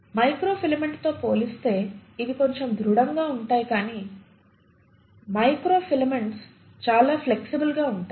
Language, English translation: Telugu, So compared to microfilament these are a little more rigid, but then microfilaments are far more flexible